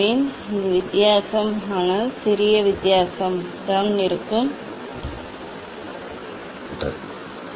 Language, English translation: Tamil, one has to there will not be much difference, but slight difference will be there, slight difference will be